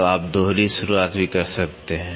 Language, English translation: Hindi, So, you can also have double start